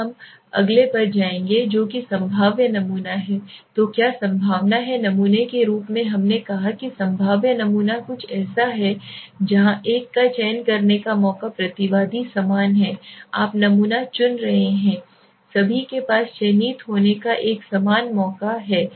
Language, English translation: Hindi, Now we will go to the next that is the probabilistic sampling so what is the probabilistic sampling as we said probabilistic sampling is something where the chance of selecting a respondent is equal right the respondent that you are sample is choosing is equal everybody has got an equal chance of getting selected so let us say let us go to the one so what it is saying